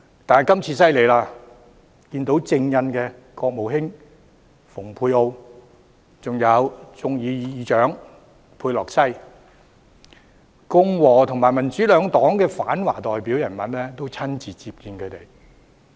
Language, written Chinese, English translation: Cantonese, 但今次他們很厲害，竟可與正印國務卿蓬佩奧及眾議院院長佩洛西會面，共和與民主兩黨的反華代表人物也親自接見他們。, But this time around they were really blessed to have had the opportunity of meeting with the incumbent Secretary of State Mike POMPEO and Head of the House of Representatives Nancy PELOSI . The anti - China icons from both the Republican and Democratic Parties met with them in person